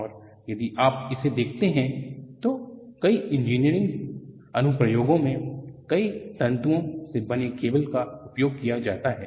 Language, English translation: Hindi, And if you look at, cables made of several strands are used in many engineering applications